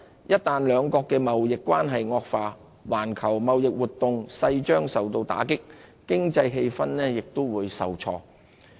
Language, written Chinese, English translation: Cantonese, 一旦兩國的貿易關係惡化，環球貿易活動勢將受到打擊，經濟氣氛也會受挫。, A deterioration in trade relations between the two countries will invariably deal a blow to global trading activities and sour economic sentiment